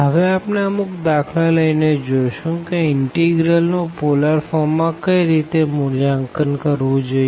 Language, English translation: Gujarati, So, we will see with the help of examples now how to evaluate integrals in polar form